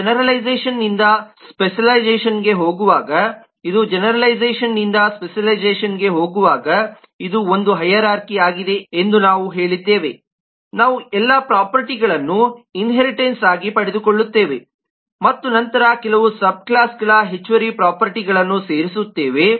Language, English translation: Kannada, we have said that as we go from generalization to specialization this is a hierarchy as we go from the generalization to specialization we inherit all the properties and then add some of the subclasses, additional properties